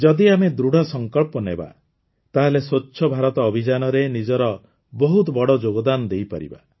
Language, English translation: Odia, If we resolve, we can make a huge contribution towards a clean India